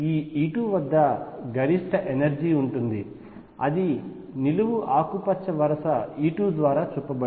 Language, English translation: Telugu, Then the maximum of the energy exists at this E 2 shown by green vertical line E 2